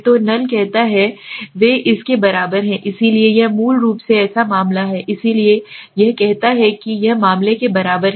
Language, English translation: Hindi, So the null says they are equal to, so it is a case of basically that is why it says it is a case of equal to case